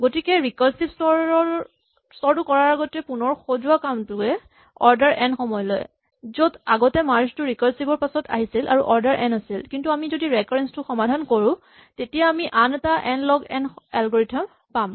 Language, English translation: Assamese, So, rearranging step before we do the recursive step is what is order n, whereas merge was the step after the recursive step which was order n in the previous case, but if we solve the recurrence, its the same one, we get another order n log n algorithm